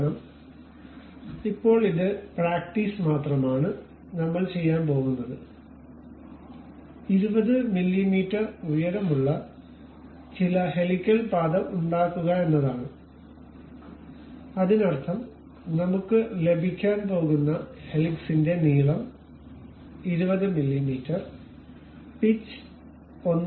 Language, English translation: Malayalam, Because it is just a practice as of now what we are going to do is we will have some helical path with height 20 mm; that means, the length of the helix what we are going to have is 20 mm pitch is around 1